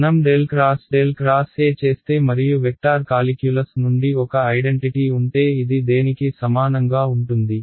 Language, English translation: Telugu, If I do del cross del cross E and we have an identity from the vector calculus which tell us this is equal to